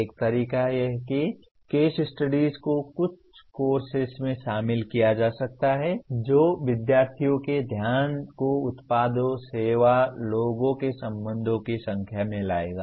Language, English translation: Hindi, One of the ways is case studies can be incorporated in some courses that will bring the attention of students to products service people relationship in a number of contexts